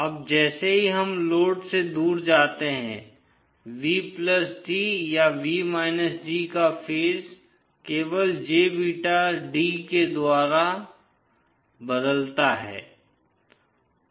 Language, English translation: Hindi, Now as we go away from the load, the phase of V+d or V d changes by jbeta d only